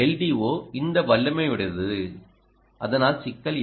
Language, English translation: Tamil, this l d o is capable, there is no problem